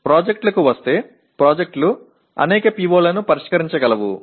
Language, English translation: Telugu, Coming to the projects, projects can potentially address many POs